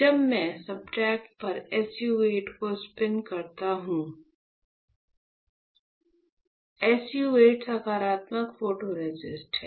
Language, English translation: Hindi, So, when I spin coat SU 8 on the substrate; SU 8 is the negative photoresist